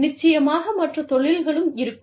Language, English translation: Tamil, Of course, there would be, other industries also